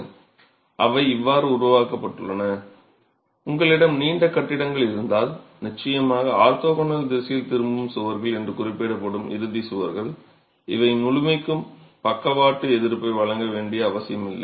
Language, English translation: Tamil, And if you have long buildings, if you have long buildings, of course the end walls which are referred to as the return walls in the orthogonal direction, these need not necessarily provide lateral resistance for the entire length of the long walls